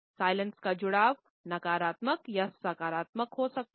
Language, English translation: Hindi, The connotations of silence can be negative or positive